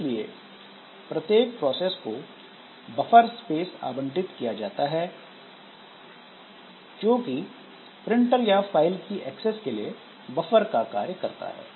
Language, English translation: Hindi, So, some buffer space is allocated for every process to act as the buffer for this printer access or this file access etc